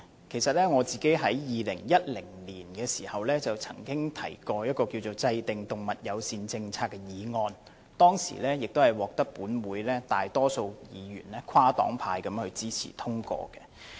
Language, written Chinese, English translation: Cantonese, 事實上，我曾在2010年提出"制訂動物友善政策"的議案，並獲得本會大多數跨黨派議員支持，予以通過。, In fact in 2010 I also moved the motion on Formulating an animal - friendly policy which was passed by the Council with cross - party support from the majority of Members present